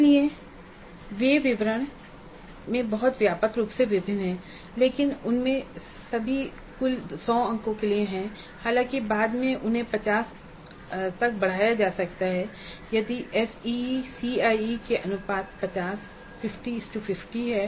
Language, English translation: Hindi, So they vary very widely in details but however nearly all of them are for 100 marks in total though later they may be scaled to 50 if the SECE ratios are 50 50 then these 100 marks could be scaled to 50 if they are in the ratio of 20 80 C C